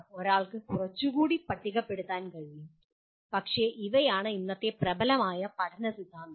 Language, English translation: Malayalam, There can be, one can maybe list some more but these are the present day dominant learning theories